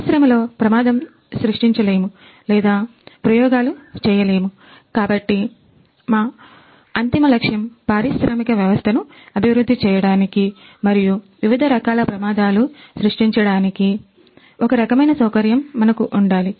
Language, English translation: Telugu, As accident cannot be created or experimented in industry, so our ultimate aim was that whether we should have some kind of facility where we can develop the industrial system and also create the different kind of accidents